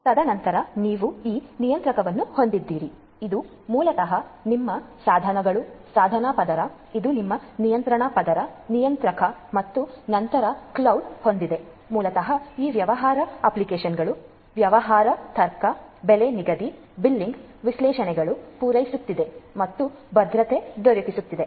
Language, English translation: Kannada, And then you have this controller these are basically your devices, device layer, this is your control layer, controller and then you have on top you have these the cloud which basically caters to these business applications business logic you know pricing billing analytics and so on security and so on